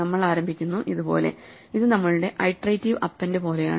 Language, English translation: Malayalam, We start asÉ this is like our iterative append